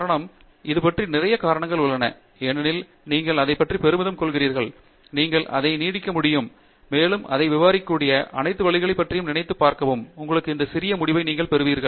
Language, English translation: Tamil, The reason is, there is lots of reasons for it because when you are proud of that you keep thinking about it a lot, you keep going back and back about thinking about every single way in which it can be extended and all that builds up on this small result of yours and you get a bigger result